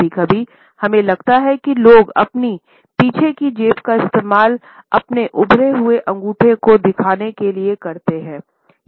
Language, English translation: Hindi, Sometimes we would find that people use their back pockets to show their protruding thumbs